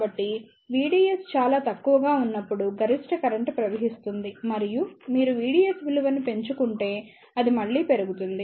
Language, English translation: Telugu, So, the maximum current will flow when V DS is very small and it will again increase if you increase the value of V DS